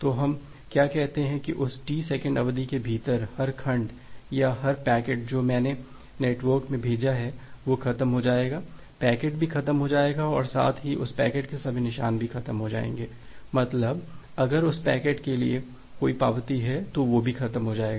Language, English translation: Hindi, So, what we say that within that T second duration every segment or every packet that I have sent into the network, it will die off, the packet will die off as well as all traces of that packet that means if there is certain acknowledgement for that packet they will also get die off